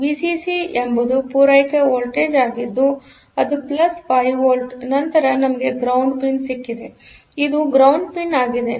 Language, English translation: Kannada, So, Vcc is the supply voltage which is plus 5 volt, then we have got the ground pin 20; which is the ground pin